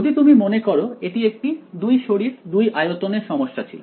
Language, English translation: Bengali, If you remember this was the two body 2 volume problem